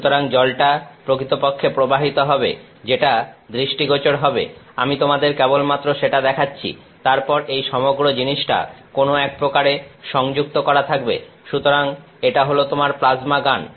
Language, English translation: Bengali, So, the water is actually flowing you are I am just showing you what will be visible, then this whole thing is connected up in some sense; so, that is your plasma gun